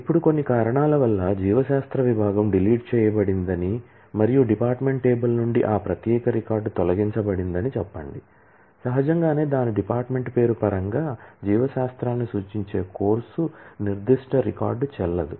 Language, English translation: Telugu, Now, say for some reason the biology department is abolished and that particular record from the department table is removed, naturally, the course which is referring to biology in terms of its department name that particular record will become invalid